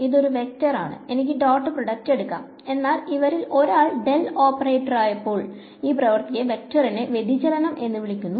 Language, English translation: Malayalam, So, this is a vector I can take the dot product, but when one of these guys is the del operator this act is called the divergence of the vector